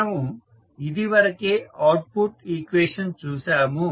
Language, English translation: Telugu, So, this is how you get the output equation